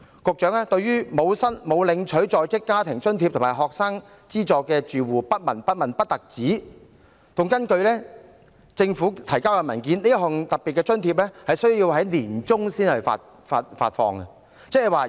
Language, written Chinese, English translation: Cantonese, 局長不單對沒有領取在職家庭津貼和學生資助的住戶不聞不問，而且根據政府提交的文件，這項特別津貼會在年中才發放。, Not only is the Secretary totally indifferent to households that are not recipients of the Working Family Allowance and Student Financial Assistance . Also according to the paper submitted by the Government this special allowance will not be disbursed until the middle of the year